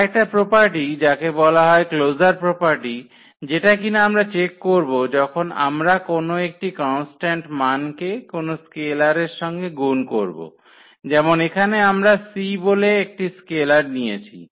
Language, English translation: Bengali, And another property the closure property what we check when we multiply by any constant any scalar like here we have taken the c as a scalar